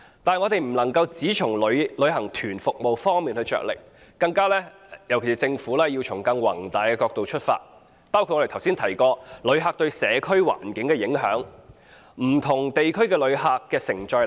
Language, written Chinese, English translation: Cantonese, 此外，政府不能夠只從旅行團服務方面着力，更應從更宏大的角度出發，包括旅客對社區環境的影響、不同地區的旅客承載力。, In addition the Government should not merely pay attention to group tour services . Rather it should start by addressing issues in a broader context including the impact of visitors on the environment of local communities and the capacity of various districts to receive visitors